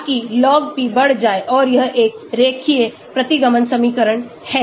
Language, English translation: Hindi, so as the log p increases and it is a linear regression equation